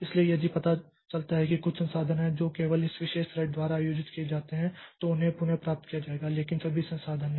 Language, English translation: Hindi, So, if the OS finds that there are some resources which are held by only this particular thread, so they will be reclaimed but not all resources